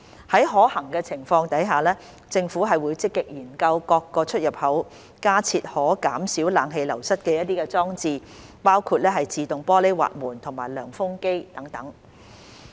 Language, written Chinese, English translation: Cantonese, 在可行的情況下，政府會積極研究於各出入口加設可減少冷氣流失的裝置，包括自動玻璃滑門和涼風機等。, Where feasible the Government will proactively explore providing installations at the entrances to reduce the flowing away of cool air including automatic sliding glass doors and air coolers etc